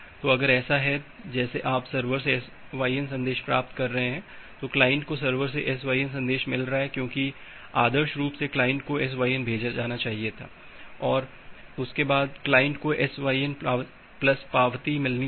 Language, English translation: Hindi, So, if that is the case like you are getting a SYN message from the server, the client is getting a SYN message from the server because ideally the client should sent a SYN and after that get the client should get a SYN plus acknowledgement